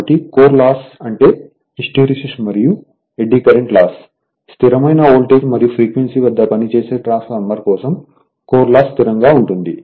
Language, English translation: Telugu, So, core loss these are hysteresis and eddy current losses; core loss is constant for a transmission sorry transformer operated at constant voltage and frequency